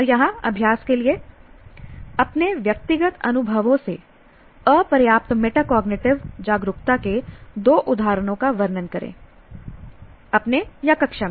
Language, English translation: Hindi, And here for exercises, describe two instances of inediquate metacognitive awareness from your personal experiences, your own or in the classroom